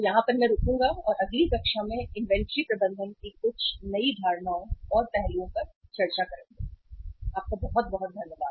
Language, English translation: Hindi, So here I will stop for this and next time with certain more concepts or aspects of inventory management we will discuss in the next class